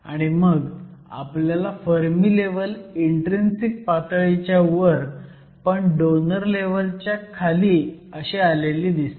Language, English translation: Marathi, And what we have is your Fermi level E Fn located above the intrinsic level, but below your donor level